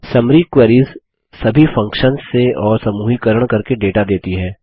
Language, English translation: Hindi, Summary queries show data from aggregate functions and by grouping